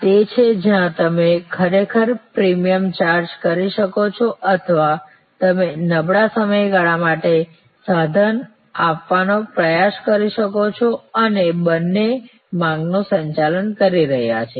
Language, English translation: Gujarati, So, these are where you can actually either charge premium or you can try to give intensive for the lean period both are managing demand